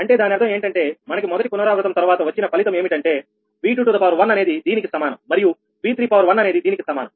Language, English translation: Telugu, that means that means that after fast iteration this is the result: v two, one is equal to this much and v three, one is equal to this much